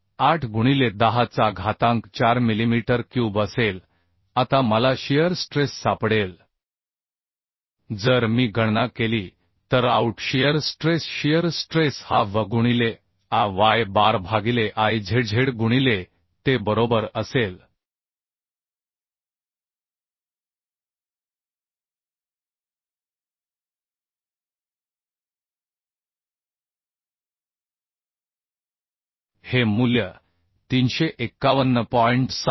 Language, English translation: Marathi, 68 into 10 to the power 4 millimetre cube Now shear stress I can find out shear stress shear stress will be V into Ay bar by Izz into te is equal to if I calculate the value this will be 351